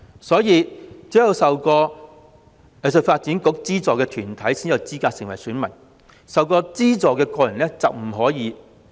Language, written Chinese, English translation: Cantonese, 所以，只有受過香港藝術發展局資助的藝團才有資格成為選民，曾受資助的個人則不可以。, Therefore only arts bodies but not individuals which have been subsidized by the Hong Kong Arts Development Council are eligible to register as electors